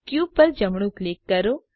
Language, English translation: Gujarati, Right click on the cube